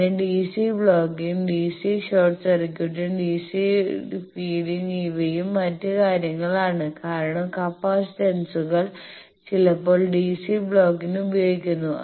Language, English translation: Malayalam, Then DC blocking, DC short circuiting, DC feeding these are also other things because capacitors sometimes are used for DC blocking etcetera